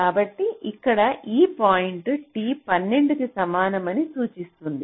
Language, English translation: Telugu, so here this point refers to t equal to twelve